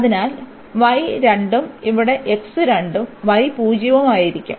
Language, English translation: Malayalam, So, y is 2 and here the x will be 2 and y is 0